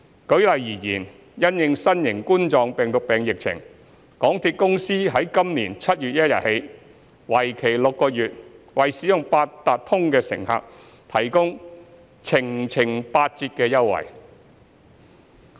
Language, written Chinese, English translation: Cantonese, 舉例而言，因應新型冠狀病毒疫情，港鐵公司由今年7月1日起計的6個月內，為使用八達通的乘客提供"程程八折"等優惠。, For instance in view of the COVID - 19 epidemic MTRCL will offer fare concessions to passengers using Octopus like the 20 % Rebate for Every Octopus Trip for six months with effect from 1 July 2020